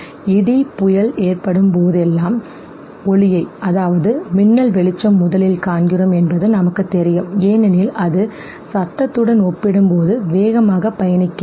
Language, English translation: Tamil, The fact we know that whenever there is a thunder storm we see the light first because it travels faster compared to the sound